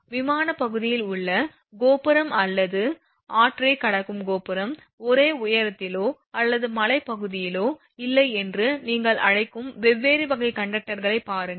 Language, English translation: Tamil, Just have a look for different of different type of conductor your what you call tower in the plane area or tower crossing the river not at the same altitude or in the hilly area also not at the same altitude